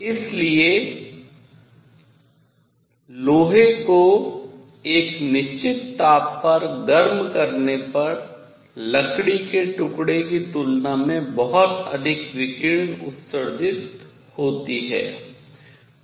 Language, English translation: Hindi, So, iron when heated to a certain temperature would emit much more radiation than a piece of wood